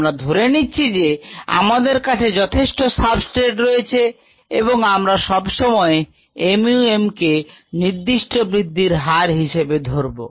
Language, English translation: Bengali, we kind of assumed that we are always had enough substrate so that, ah, we were always at mu m for the specific growth rate